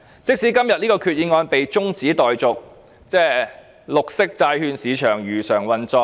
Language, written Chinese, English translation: Cantonese, 即使今次決議案的辯論中止待續，綠色債券市場化會如常運作。, Notwithstanding the adjourned debate on the Resolution the green bond market will operate as usual